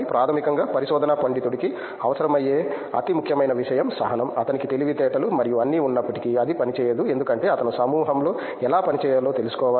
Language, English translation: Telugu, Basically the most and foremost thing a research scholar should need is patience, even though he had intelligence and all, it won’t work because he should know how to work in a group